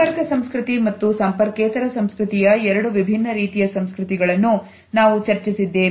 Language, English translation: Kannada, We have discussed two different types of cultures which are the contact culture as well as the non contact culture